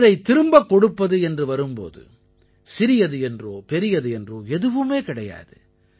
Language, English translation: Tamil, When it comes to returning something, nothing can be deemed big or small